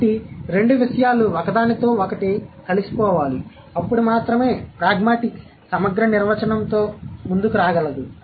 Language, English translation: Telugu, Then only the, then only is pragmatics can come up with a holistic definition